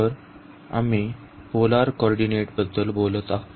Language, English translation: Marathi, So, we are talking about the polar coordinate